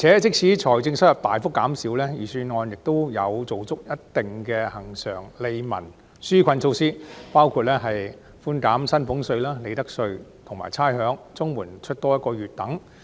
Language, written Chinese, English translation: Cantonese, 即使財政收入大幅減少，預算案仍有做足一貫的利民紓困措施，包括寬減薪俸稅、利得稅及差餉、發放一個月的額外綜援金等。, Despite a big drop in revenue the Budget has still introduced routine relief measures including reducing salaries tax and profits tax waiving rates and providing an extra one - month allowance to recipients of Comprehensive Social Security Assistance